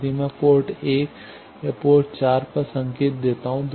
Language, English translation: Hindi, If I give signal at either port 1 or port 4